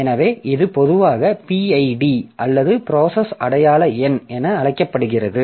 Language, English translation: Tamil, So, this is very commonly known as PID or process identification number